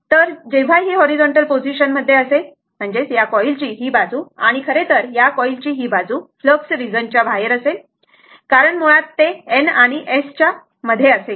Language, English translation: Marathi, So, when it is a horizontal position, then this is this side of the coil and this side of the coil, this is actually will be outside of the your what you call that flux region right because this is a basically your in between N and S